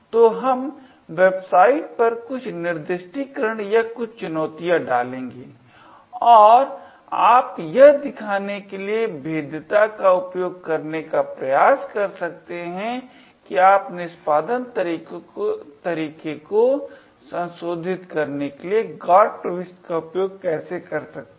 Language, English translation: Hindi, So we will putting up a few assignments or some challenges on the website and you could actually try to use the vulnerabilty to show how you could use a GOT entry to modify the execution pattern